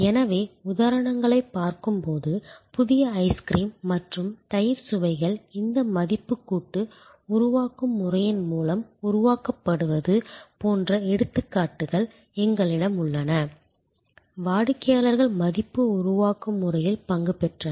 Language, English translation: Tamil, So, when we look at the examples; obviously, we have examples like new ice cream and yogurt flavors being created through this value co creation method, customers participated in value creation method